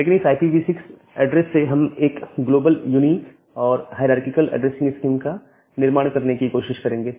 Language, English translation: Hindi, But with IPv6 address we try to build up a globally unique and hierarchical addressing scheme